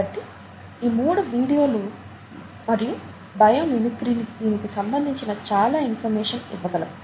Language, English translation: Telugu, So these three, videos and bio mimicry would be able to give you more information on that